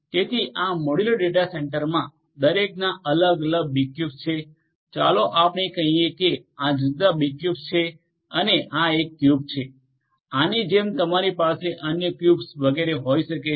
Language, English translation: Gujarati, So, this modular data centre has different B cubes each of let us say that these are the different B cubes and this is one cube, like that you can have other cubes and so on